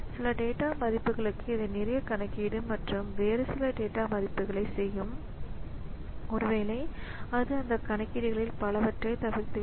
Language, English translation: Tamil, Maybe for some data values it will be doing a lot of computations and some other data values maybe it will be just bypass many of those computations